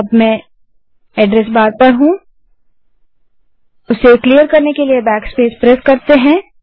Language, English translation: Hindi, i am in address bar and now i press backspace to clear the address bar